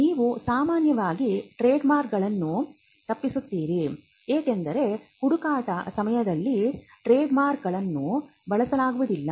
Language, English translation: Kannada, You would normally avoid trademarks, because trademarks are not used while doing a search